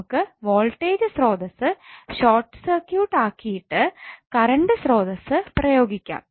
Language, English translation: Malayalam, You have to simply short circuit the voltage source and apply the current source